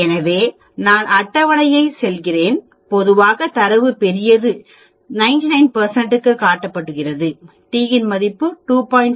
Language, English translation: Tamil, So, I go to the table generally the data is large, shown for 99 percent, t value will be two 2